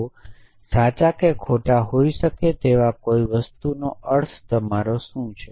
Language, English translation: Gujarati, So, what do you mean by something which can be true or false